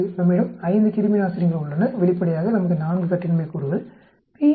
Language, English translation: Tamil, We have 5 antiseptics, obviously, we have 4 degrees of freedom, p is equal to 0